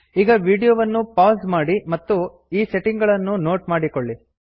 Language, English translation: Kannada, Pause this video and make a note of these settings